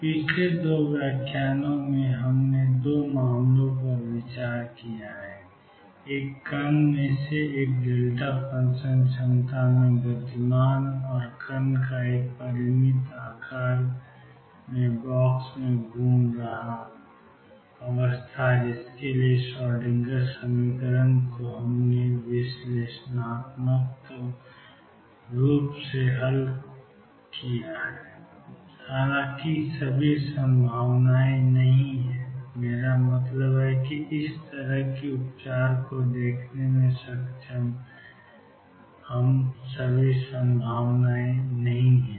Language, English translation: Hindi, In the previous 2 lectures, we have considered 2 cases; one of a particle moving in a delta function potential and particle moving in a finite size box for which the Schrodinger equation could be solved analytically; however, all potentials are not; I mean able to see this kind of treatment